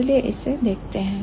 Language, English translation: Hindi, So, let's look at this